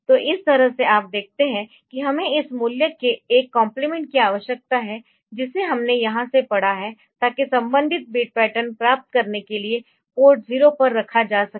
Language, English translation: Hindi, So, this way you see that we need a compliment of this value that we have read from here to be put on to port 0 for getting the corresponding pattern